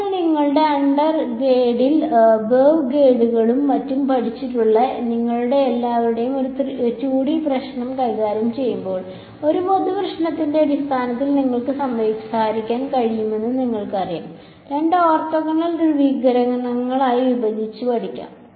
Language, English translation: Malayalam, Now, when we deal with a 2D problem all of you who have probably studied wave guides and such things in your undergrad, you know that we can talk in terms of a general problem can be studied broken up in to a two orthogonal polarizations, transverse magnetic , transverse electric right